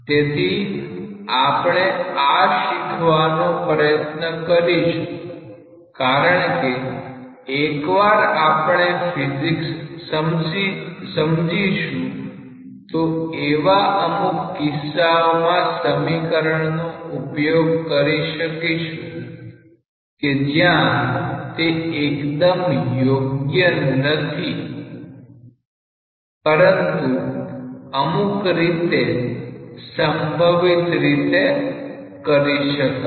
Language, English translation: Gujarati, So, that is what we will try to learn because once we appreciate the physics properly, we will be perhaps able to utilize this equation in certain cases where this equation may not be exactly valid, but in a in a somewhat approximate sense